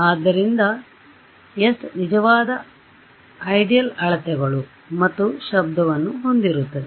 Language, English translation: Kannada, So, the s contains the ideal measurements and noise